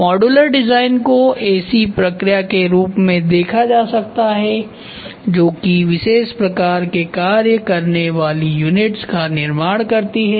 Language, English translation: Hindi, Modular design can be viewed as a process of producing units that perform discrete functions